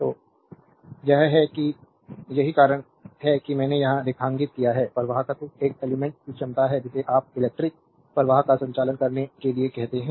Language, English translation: Hindi, So, this is that that is why I have underlined here, the conductance is the ability of an element your what you call to conduct electric current